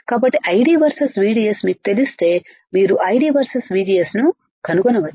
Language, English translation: Telugu, So, easy if you know ID versus VDS you can find ID versus VGS